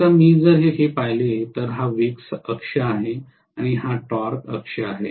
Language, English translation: Marathi, Now, if I look at this is actually the speed axis and this is the torque axis